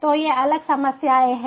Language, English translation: Hindi, these are the different problems